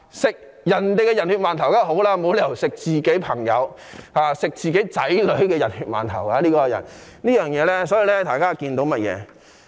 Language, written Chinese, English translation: Cantonese, 吃別人的"人血饅頭"當然好，總沒有理由吃自己朋友或子女的"人血饅頭"，所以大家可知一二。, It is surely better to eat steamed buns dipped in other peoples blood and there is no reason to eat steamed buns dipped in the blood of our own friends or children . This speaks the truth